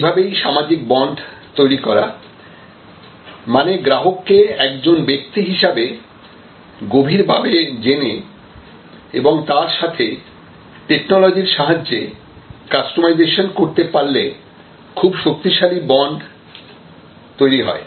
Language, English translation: Bengali, And so the social bond creation which basically is based on knowing the customer indepth as a individual and then combining that with technology assisted ways of customization can create really the most powerful bond